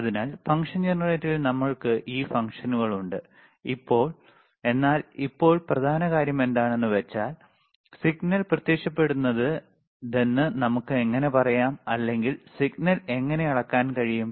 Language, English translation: Malayalam, So, so, we have this functions in the function generator, but now the main point is, how we know that this is the signal appearing or how we can measure the signal now